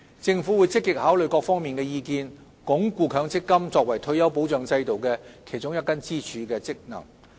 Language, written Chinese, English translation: Cantonese, 政府會積極考慮各方意見，鞏固強積金作為退休保障制度的其中一根支柱的功能。, The Government will actively consider opinions from different sectors with a view to reinforcing the function of MPF as one of the pillars of our retirement protection system